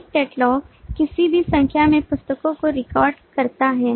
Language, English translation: Hindi, one catalog records any number of books